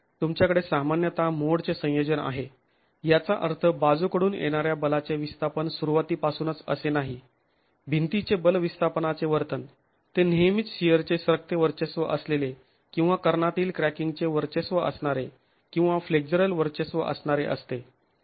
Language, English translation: Marathi, You will get, it does not mean that right from the beginning of the lateral force displacement, force displacement behavior of the wall that is always going to be shear sliding dominated or diagonal cracking dominated or flexure dominated